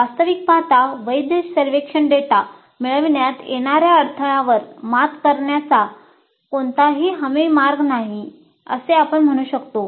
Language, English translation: Marathi, In fact, in general we can say there is no guaranteed way of overcoming the obstacles to getting valid survey data